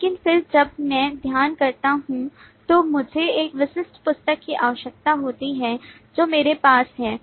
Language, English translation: Hindi, But then when I study I need a specific book that I own